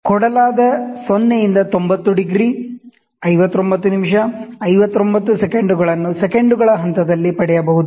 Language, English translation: Kannada, So, thus given 0 to 90 degrees 59 minutes 59 seconds in steps of you can get in steps of seconds